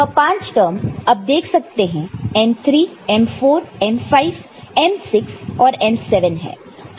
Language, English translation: Hindi, And this five terms you can see m3, m4, m5, m6 and m7 that is what you do here